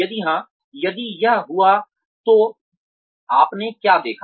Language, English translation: Hindi, If yes, if it occurred, what did you see